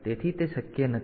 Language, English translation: Gujarati, So, that is not possible